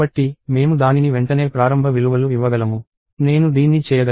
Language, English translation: Telugu, So, I could initialize it right away; I could do this